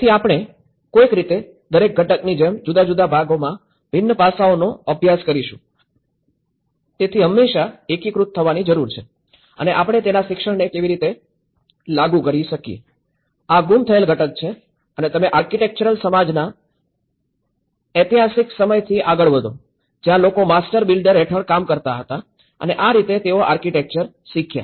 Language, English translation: Gujarati, So, somehow we end up studying in most of an isolated manner like each component in a different aspect, so there is always a need to integrate and how we apply the learning of this to that so, this is the missing component and if you take ahead from the historical times of architectural understanding, where people used to work under the master builder and that is how they learned architecture